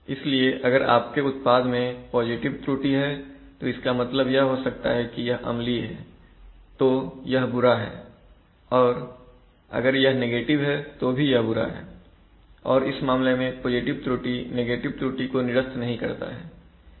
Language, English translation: Hindi, So if your product is, has positive error which might mean that it is acidic then also it is bad and if it is negative error then also it is bad, and in this case positive error does not cancel negative error